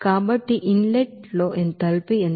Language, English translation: Telugu, So will be the enthalpy in the inlet